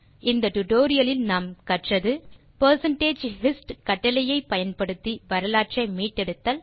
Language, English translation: Tamil, In this tutorial,we have learnt to, Retrieve the history using percentage hist command